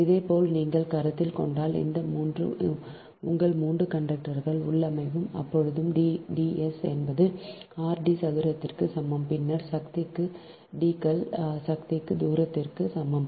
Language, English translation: Tamil, similarly, if you consider this ah, this ah, ah, three, your three conductors configuration right, then in that case d s is equal to r dash d square, then to the power, d s is equal to r dash d square to the power one, third